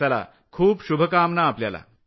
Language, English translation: Marathi, Many good wishes to you